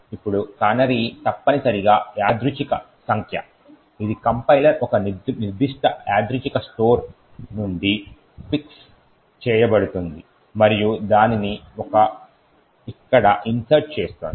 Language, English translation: Telugu, Now a canary is essentially a random number which the compiler fix from a particular random store and inserts it over here